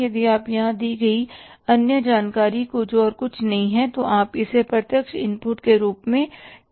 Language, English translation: Hindi, If you see the other say information given here is nothing is say you can call it as a direct input